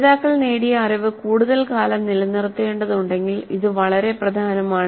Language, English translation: Malayalam, Now this is very important if the learners have to retain their knowledge acquired for longer periods of time